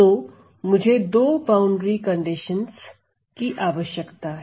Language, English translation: Hindi, So, I need two boundary conditions